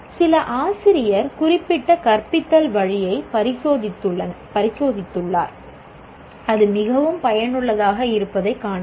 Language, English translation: Tamil, Let us say some teacher has experimented with certain way of teaching and found it is very useful